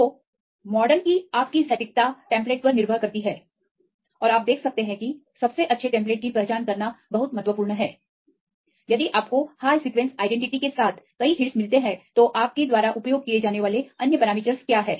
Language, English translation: Hindi, So, your accuracy of the model depends on the template and you can see it is very important to identify the best template if you get several hits with high sequence identity what the other criteria you use